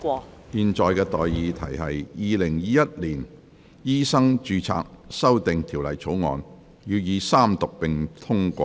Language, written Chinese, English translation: Cantonese, 我現在向各位提出的待議議題是：《2021年醫生註冊條例草案》予以三讀並通過。, I now propose the question to you and that is That the Medical Registration Amendment Bill 2021 be read the Third time and do pass